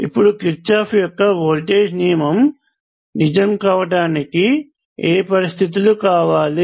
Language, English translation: Telugu, Now what are the conditions under which the Kirchhoff’s voltage law is true